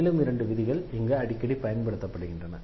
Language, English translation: Tamil, There are two more rules frequently used here